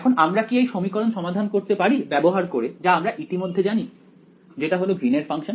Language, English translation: Bengali, Now can we solve this equation using what we already know which is the Green’s function over here can I use this what do you think